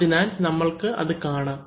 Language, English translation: Malayalam, So, we will show that